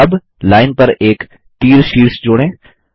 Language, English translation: Hindi, Now, let us add an arrowhead to the line